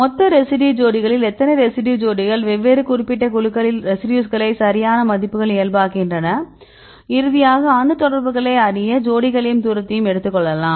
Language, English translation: Tamil, So, totally how many residue pairs among the residue pairs how many residue pairs in different specific groups right normalize the values and finally, we can get this a propensity right take any distance get the atom contacts, any pairs